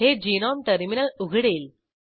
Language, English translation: Marathi, This will open the Gnome terminal